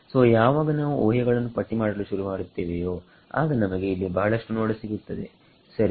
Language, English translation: Kannada, So, when we began to list out the assumptions we can see that there are so many over here right all right